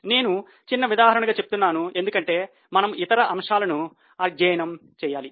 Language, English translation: Telugu, I am just giving an example because we will have to study other aspects